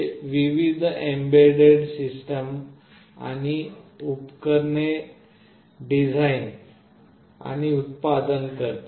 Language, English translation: Marathi, It designs and manufactures various embedded system boards and accessories